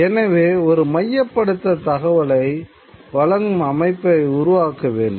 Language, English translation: Tamil, Therefore, a certain kind of centralized messaging system needs to develop